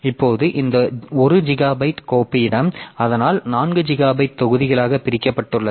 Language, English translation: Tamil, Now this 1 gigabyte of file space so that is divided into 4 gigabyte blocks now where are those blocks located in the disk